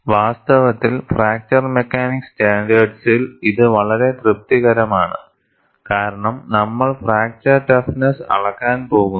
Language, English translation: Malayalam, In fact, this is very well satisfied by fracture mechanics standards, because we are going to measure fracture toughness and that is what, is depicted here